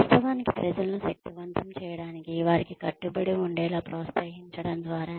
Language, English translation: Telugu, And of course, for empowering people, by encouraging them to commit